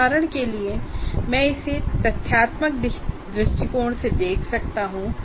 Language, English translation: Hindi, For example, I can look at it from factual perspective